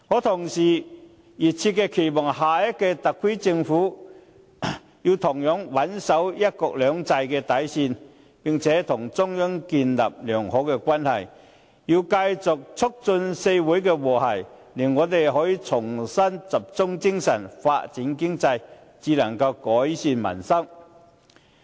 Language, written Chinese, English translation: Cantonese, 同時，我熱切期望下屆特區政府同樣穩守"一國兩制"的底線，並且與中央建立良好關係，繼續促進社會和諧，令我們可以重新集中精神，發展經濟，然後才能改善民生。, Meanwhile I earnestly hope that the Special Administrative Region Government of the next term can likewise adhere to the bottom line of one country two systems establish a good relationship with the Central Authorities and continue to promote social harmony to enable us to gather our thoughts together and pursue economic development such that peoples livelihood can be improved